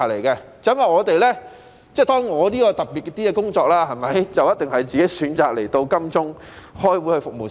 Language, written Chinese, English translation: Cantonese, 當然，我的工作比較特別，我是自己選擇來金鐘開會服務市民。, Of course my job is rather special as it is my own choice that I travel to Admiralty to attend meetings and to serve the people